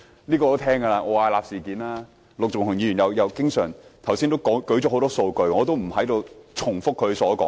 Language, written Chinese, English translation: Cantonese, 我也聽聞過奧雅納事件，陸頌雄議員剛才也列舉了很多數據，我不重複他的說話。, I have heard the incident involving the Ove Arup Partners Hong Kong Ltd too . Just now Mr LUK Chung - hung also cited a lot of data hence I will not repeat his remarks